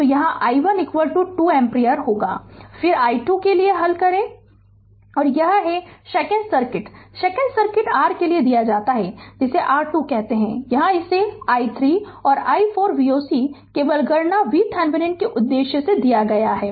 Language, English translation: Hindi, So, put i 1 here is equal to 2 ampere and then you solve for i 2 and this is and shaken circuit shaken circuit is given for your what you call for Thevenin, here it is given i 3 and i 4 V o c is equal to just for the purpose of computation V thevenin